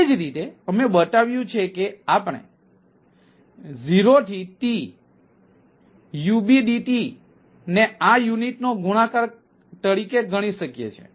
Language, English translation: Gujarati, we have shown that ah, we can calculate that zero to t, u, bdt as as a multiplication of this units